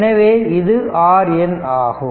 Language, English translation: Tamil, This is R N